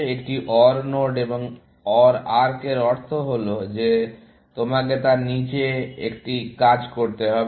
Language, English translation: Bengali, The meaning of an OR node and OR arc is that you have to do one of the things below that